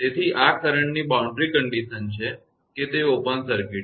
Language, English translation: Gujarati, So, the boundary condition of the current is; it is open circuit